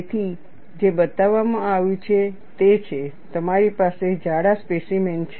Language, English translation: Gujarati, So, what is shown is, you have a thick specimen